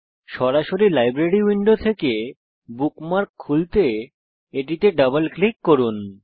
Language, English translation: Bengali, To open a bookmark directly from the Library window, simply double click on it